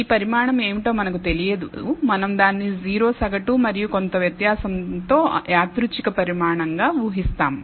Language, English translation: Telugu, We do not know what this quantity is, we assume that it is a random quantity with 0 mean and some variance